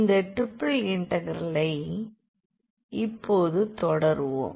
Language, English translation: Tamil, Today we will learn about the triple integrals